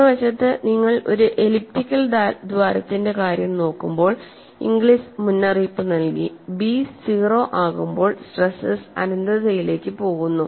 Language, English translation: Malayalam, On the other hand, when you look at the case of an elliptical hole, Inglis alerted, when b tends to 0, the stresses go to infinity